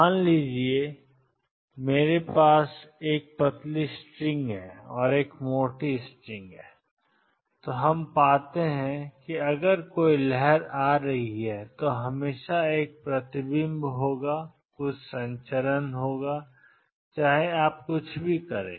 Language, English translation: Hindi, Suppose, I have a string a thin string and a thick string and what we find is; if there is a wave coming in always there will be a reflection and there will be some transmission no matter what you do